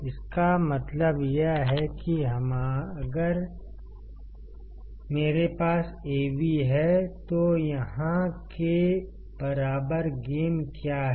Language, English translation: Hindi, It means that if I have Av then what is the gain equal to here